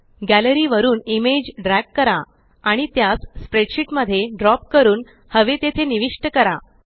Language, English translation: Marathi, Drag the image from the Gallery and drop it into the spreadsheet where you want to insert it